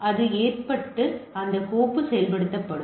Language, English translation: Tamil, So, it its get loaded and that file to be executed